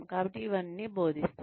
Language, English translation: Telugu, So, all of that is taught